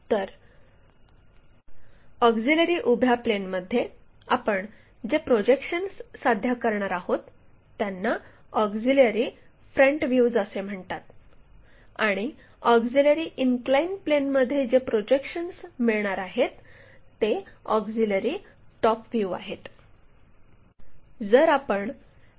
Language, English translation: Marathi, So, a auxiliary vertical plane, the projections what we are going to achieve are called auxiliary front views and for a auxiliary inclined plane the projections what we are going to get is auxiliary top views